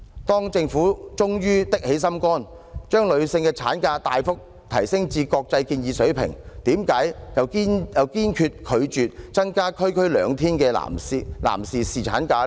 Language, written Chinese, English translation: Cantonese, 當政府終於下定決心，將女性產假大幅提升至國際建議水平，為何又堅決拒絕增加區區兩天的男士侍產假呢？, While the Government finally musters the determination to bring maternity leave up to the global recommended level why does it doggedly refuse to increase the duration of paternity leave by two days more?